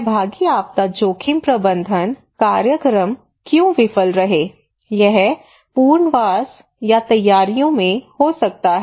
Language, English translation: Hindi, Why participatory disaster risk management programs they failed it could be in rehabilitations it could be for the preparedness whatever